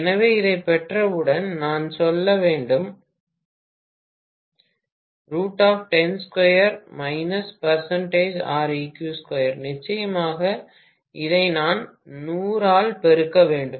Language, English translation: Tamil, Of course, I have to multiply this by 100, if I want everything in percentage I have to multiply by 100 of course